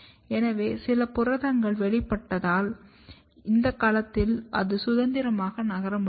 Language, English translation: Tamil, So, if you have something protein is expressed here, it is not freely able to move in this domain